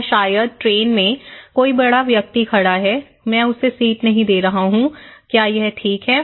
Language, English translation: Hindi, Or maybe in the train, there is elder person standing besides me, I am not offering her seat, is it okay